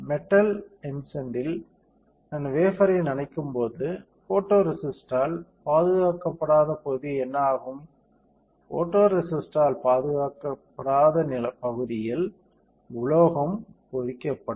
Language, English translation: Tamil, When I dip the wafer in metal etchant, what will happen that the area which is not protected by photoresist; the area which is not protected by photoresist, metal will get etched